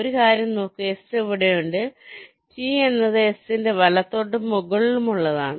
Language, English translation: Malayalam, for look at one thing: the s is here, t is to the right and to the top of s